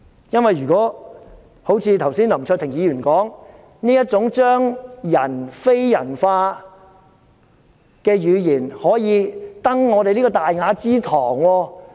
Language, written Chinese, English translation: Cantonese, 正如林卓廷議員剛才所說，這種將人非人化的語言，能否登上這個大雅之堂？, As Mr LAM Cheuk - ting just asked can this kind of dehumanized language be used within this Chamber?